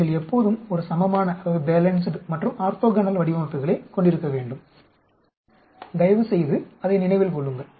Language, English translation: Tamil, You should always have a balanced and an orthogonal designs, please remember that